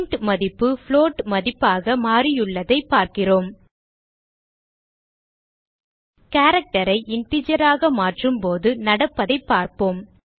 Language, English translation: Tamil, we see that the int value has been converted to a float value Let us see what happens when we convert a character to an integer